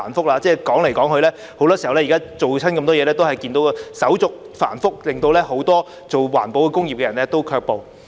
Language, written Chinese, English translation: Cantonese, 說來說法，很多時候，凡是推出措施時，我們也看見手續繁複，令很多從事環保工業的人士卻步。, To be frank very often whenever measures are introduced we can see that the procedures are complicated and many people engaging in environmental industries are discouraged by it